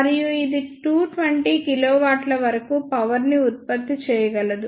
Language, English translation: Telugu, And it can generate power up to 220 kilowatt